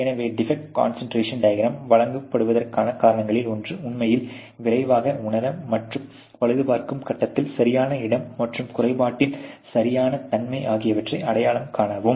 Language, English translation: Tamil, So, one of the reasons why defect concentration diagrams are given is to really quickly realize, and identify during the repair stage, the exact location and the exact nature of the defect